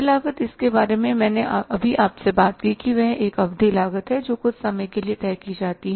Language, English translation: Hindi, Fix Fix cost I have just talked to you which is a period cost which remains fixed over a period of time